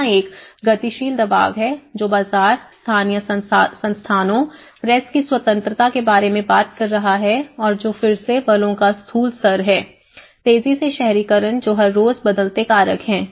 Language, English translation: Hindi, And there is a dynamic pressures, which is talking about the market, the local institutions, the press freedom and which are again the macro level of forces, the rapid urbanizations which are everyday changing factors